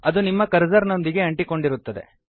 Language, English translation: Kannada, It would be tied to your cursor